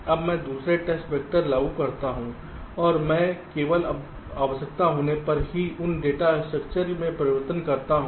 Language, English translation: Hindi, now i apply the second test vector and i make changes to those data structure only when required